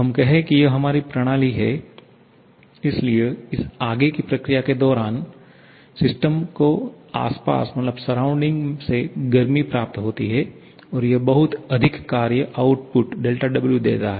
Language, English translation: Hindi, Let us say this is our system, so during this forward process, the system receives this amount of heat from the surrounding and gives this much of work output